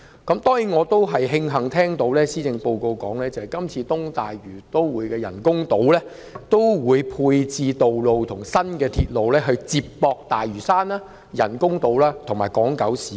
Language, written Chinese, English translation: Cantonese, 當然我也慶幸看到施政報告提及，今次東大嶼都會的人工島會配置道路和新鐵路，以接駁大嶼山、人工島和港島九龍市區。, Of course I am pleased to find that as stated in the Policy Address the artificial islands of the East Lantau Metropolis will come with roads and new railways that connect Lantau the artificial islands and the urban areas of Hong Kong Island and Kowloon